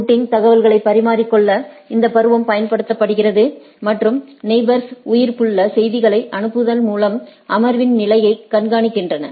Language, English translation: Tamil, The season is used to exchange routing information and neighbors monitor the state of session by sending keep alive messages